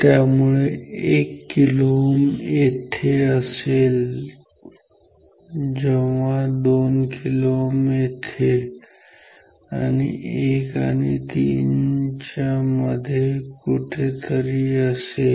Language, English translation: Marathi, So, 1 kilo ohm is here when 2 kilo ohm will be somewhere here between 1 and 3